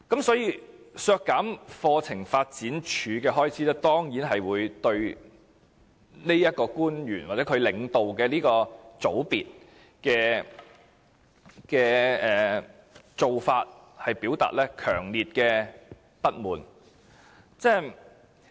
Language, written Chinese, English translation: Cantonese, 所以，削減課程發展處的開支，當然是對這名官員，或她領導的小組所作出的做法，表達強烈不滿。, All these subjects are under the portfolio of this public officer . So deducting the expenditure of CDI is a way to express our strong dissatisfaction of this public officer and the section under her leadership